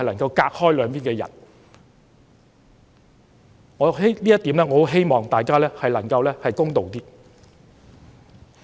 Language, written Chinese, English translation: Cantonese, 就這一點，我希望大家能夠公道一些。, In this regard I hope that everyone is more fair - minded